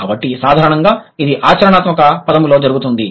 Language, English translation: Telugu, So, generally this is done in a pragmatic term